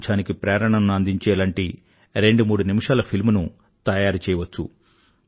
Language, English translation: Telugu, You can film a twothreeminute movie that inspires cleanliness